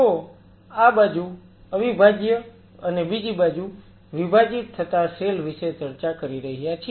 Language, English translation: Gujarati, So, talking about the cells Non dividing and this side and Dividing on other side